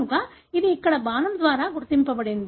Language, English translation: Telugu, So that is denoted by an arrow here